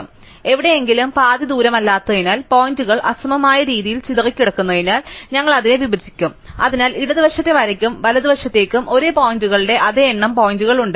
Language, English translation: Malayalam, So, somewhere which may not be half way across, because the points may be scattered in an uneven way, we will split it, so that there are exactly the same number of points the left to the line and to the right to the line